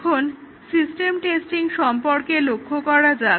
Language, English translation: Bengali, Now, let us look at system testing